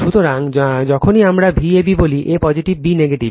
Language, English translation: Bengali, So, whenever we say V a b a positive, b negative